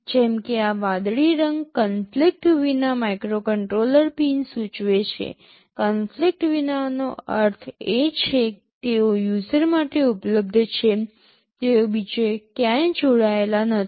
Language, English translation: Gujarati, Like this blue color indicates the microcontroller pins without conflict; without conflict means they are available to the user, they are not connected anywhere else